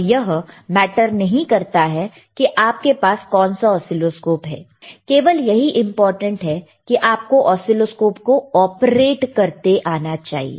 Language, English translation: Hindi, aAnd it does not matter what oscilloscopes you have, the idea is you should be able to operate the oscilloscopes, all right